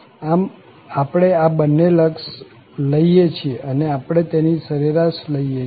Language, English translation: Gujarati, So, we take these two limits and then take the average